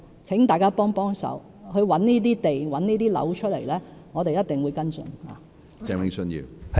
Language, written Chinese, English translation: Cantonese, 請大家幫幫忙，找出這些土地和樓宇，我們一定會跟進。, I implore Members to help us identify suitable sites and buildings . We will follow up your suggestions